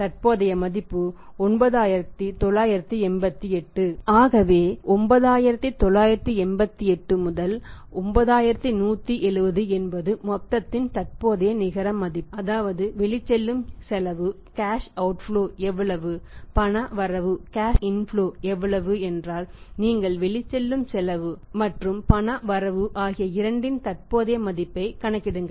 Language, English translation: Tamil, So, 9988 9170 is the net present value of the total, that is how much is a cash outflow, how much is the cash inflow if you calculate the present value of both cash out flow and cash inflow we calculate the net present value that way